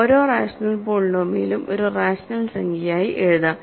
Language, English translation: Malayalam, Every rational polynomial can be written as a rational number